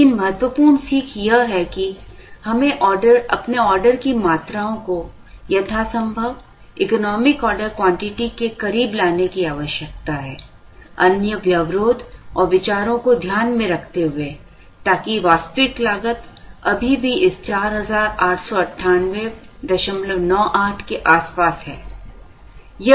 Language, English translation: Hindi, But, the important learning is that, we need to fix our order quantities as close to the economic order quantity as possible, subject to other constraints and considerations so that, the actual cost that we incur is still around this 4898